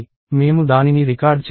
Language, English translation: Telugu, We do not record it